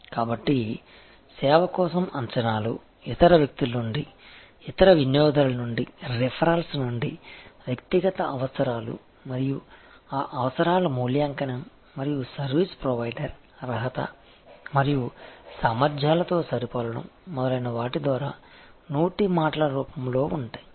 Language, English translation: Telugu, So, expectations for a service, those are form by word of mouth from other people, from other customers, from the referrals, from personal needs and evaluation of those needs and matching with the service provider qualification and capabilities, etc